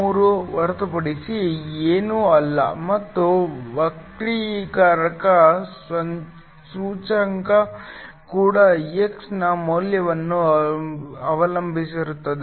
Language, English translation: Kannada, 43 plus similarly the refractive index also depends upon the value of x